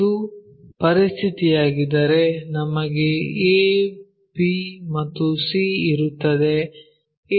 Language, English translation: Kannada, If that is a situation we will have a, b and c will be in that way